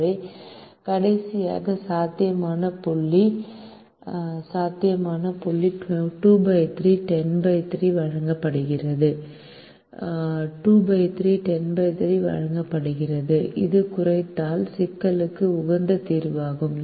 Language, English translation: Tamil, so the last feasible point is given by two by three comma ten by three, is given by two by three comma ten by three, which is the optimum solution to the minimization problem